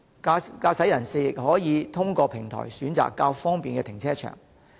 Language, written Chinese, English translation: Cantonese, 駕駛人士亦可以通過平台選擇適合的停車場。, Drivers can also select suitable car parks via the platform